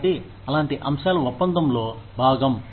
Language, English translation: Telugu, So, stuff like that, is part of the deal